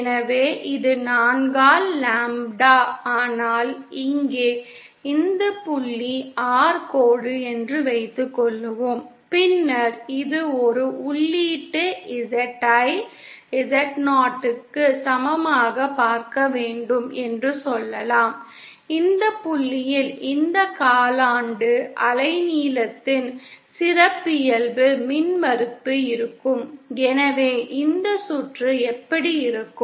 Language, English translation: Tamil, So this is lambda by 4 but here theÉsuppose this point is R dash then this will can say we have to see an input Z in equal to Z 0, this point so then the characteristic impedance of this quarter wavelength will beÉso this is what the circuit would look like